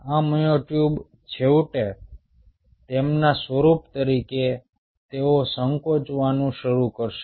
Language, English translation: Gujarati, these myotubes will eventually, as their form, they will start contracting